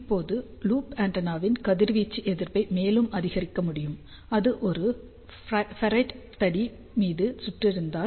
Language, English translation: Tamil, Now, the radiation resistance of loop antenna can be further increased, if it is rapped on a ferrite rod